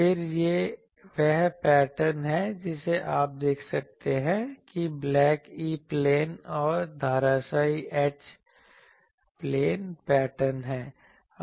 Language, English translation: Hindi, Then, this is the patterns you see black one is the black one is the E plane and the dashed one is the H plane pattern